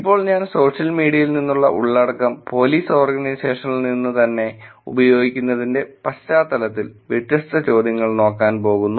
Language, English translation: Malayalam, Now, I am going to look at different set of questions within the context of using content from social media from the Police Organizations itself